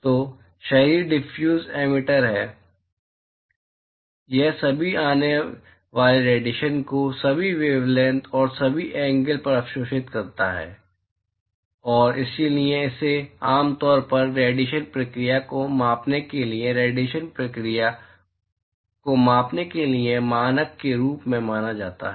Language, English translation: Hindi, So, therefore, is the Diffuse emitter, it absorbs all incoming radiations, at all wavelengths, and all angles, and so it is generally considered as a, standard for, for quantifying radiation process, for quantifying radiation process